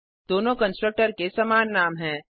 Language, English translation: Hindi, Both the constructor obviously have same name